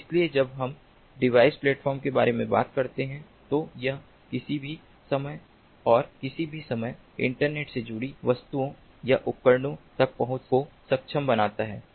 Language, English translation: Hindi, so when we talk about the device platform, it enables access to objects or devices connected to the internet anywhere and at any time